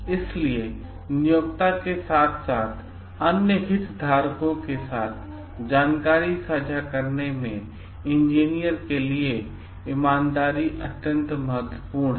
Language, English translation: Hindi, So, honesty is of utmost value for the engineer in sharing information with the employer as well as with the other stakeholders